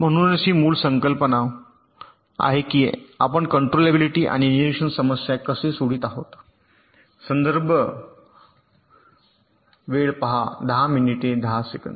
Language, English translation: Marathi, so this is the basic idea, ok, how we are solving the controllability and observe ability problems